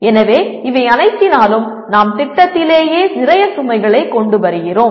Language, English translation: Tamil, So through all this we are bringing lot of load on the project itself